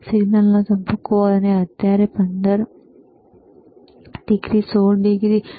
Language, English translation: Gujarati, tThe phase of the signal, and right now is 15 degree, 16 degree